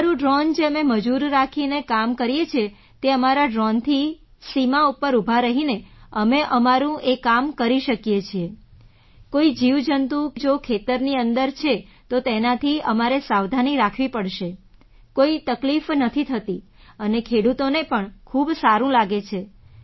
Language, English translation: Gujarati, We can do the work done by labourers using our drone, we can do our work by standing on the farm boundary, we will have to be careful if there are any insects inside the field, there won't be any problem and the farmers are also feeling very good